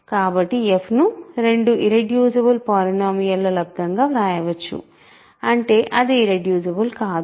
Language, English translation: Telugu, So, f can be written as a product of two irreducible polynomials that means, it is not irreducible